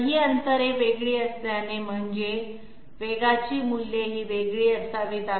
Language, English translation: Marathi, But since these distances are different, they have to be I mean the velocity values have to be different